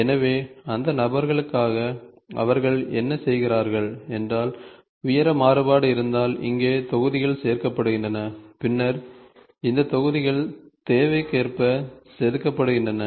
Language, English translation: Tamil, So, what they do for those people is either if there is a height variation the modules are added, these modules are then carved to the requirement